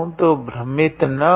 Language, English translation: Hindi, So, do not get confused